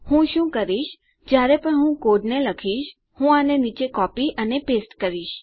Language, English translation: Gujarati, What I will do is, whenever I code, I copy and paste these down